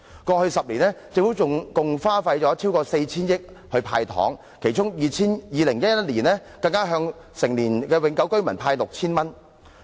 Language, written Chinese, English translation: Cantonese, 過去10年，政府共花費逾 4,000 億元"派糖"，其中在2011年，更向成年永久性居民派發 6,000 元。, Over the past decade the Government has spent more than 400 billion on giving away candies . In 2011 it even distributed 6,000 to every adult permanent resident